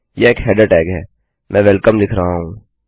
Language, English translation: Hindi, This is a header tag, I am saying Welcome.